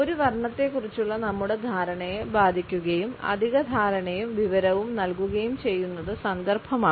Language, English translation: Malayalam, And it is a context which affects our perception of a color and gives an additional understanding and information